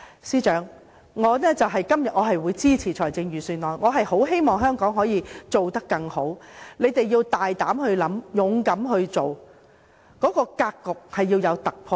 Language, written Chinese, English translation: Cantonese, 司長，我今天會支持預算案，我十分希望香港可以做得更好，你們要大膽的想，勇敢的做，必須突破格局。, Financial Secretary I will support the Budget today . I very much hope that Hong Kong can do better . I also hope that public officers have the courage to propose new ideas and bravely put them into practice